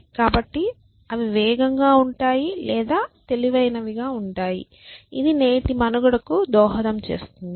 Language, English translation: Telugu, So, either they are fast or they are smart essentially which is contribute today’s survival